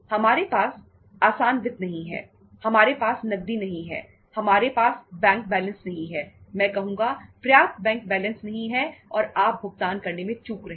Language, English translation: Hindi, We donít have the easy finance, we donít have the cash, we donít have the bank balance, sufficient bank balances I would say and you are defaulting in making the payments